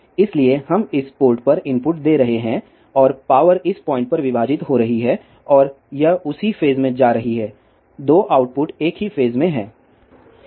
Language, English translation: Hindi, So, we are giving input at this port and the power is getting divided at this point and it is going in the same phase the 2 output are in the same phase